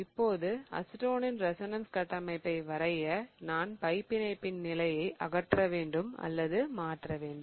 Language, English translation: Tamil, Now, in order to draw the resonance structure of acetone, I have to only or I can only remove the or change the position of the pie bond